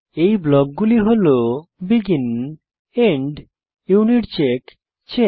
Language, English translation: Bengali, These blocks are: BEGIN END UNITCHECK CHECK